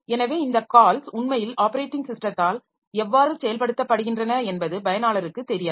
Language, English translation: Tamil, So, user does not know how this calls are actually implemented by the operating system